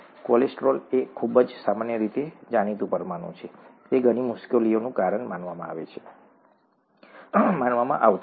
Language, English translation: Gujarati, Cholesterol, is a very common, commonly known molecule, it was supposed to cause a lot of difficulty